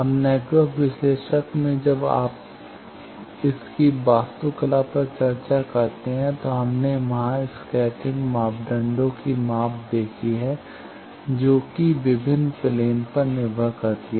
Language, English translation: Hindi, Now in network analyser when you discuss its architecture we have seen there the measurement of scattering parameters that is difference plane dependent